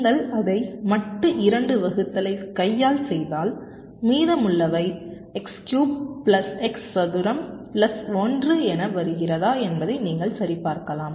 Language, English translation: Tamil, so if you do it by hand modulo two division, you can check that the remainder is coming as x cube plus x square plus one